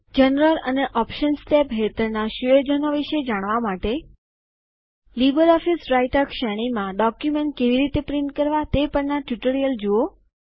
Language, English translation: Gujarati, To know about the settings under General and Options tabs,ltPAUSEgt please see the tutorial on Viewing and printing Documents in the LibreOffice Writer series